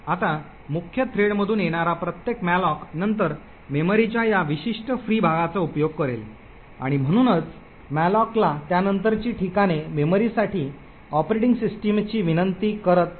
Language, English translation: Marathi, Now every subsequent malloc from the main thread would then utilise this particular free part of memory and therefore subsequent locations to malloc would not be actually requesting the operating system for the memory